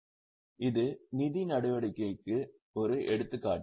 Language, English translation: Tamil, This is an example of financing activity